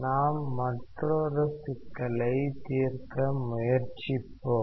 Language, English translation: Tamil, Let us try to solve another problem